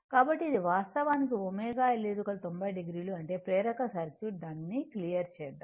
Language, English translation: Telugu, So, this is actually omega L 90 degree; that means, for inductive circuit then, let me clear it